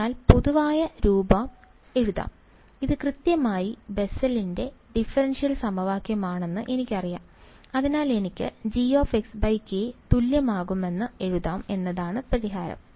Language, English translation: Malayalam, So, the general form can be written I know this is exactly the Bessel’s differential equation, so the solution is I can write down G of x by k is going to be equal to